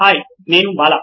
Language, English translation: Telugu, Hi I am Bala